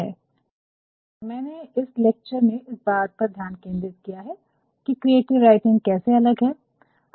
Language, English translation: Hindi, And, I have focused in this lecture how creative writing is different